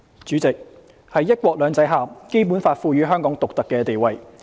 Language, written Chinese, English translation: Cantonese, 主席，在"一國兩制"下，《基本法》賦予香港獨特的地位。, President under one country two systems the Basic Law confers on Hong Kong a unique status